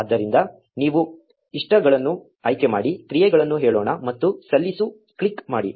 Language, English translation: Kannada, So, you select likes, let us say actions and click submit